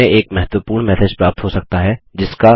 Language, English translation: Hindi, We may receive an important message that we may want to refer to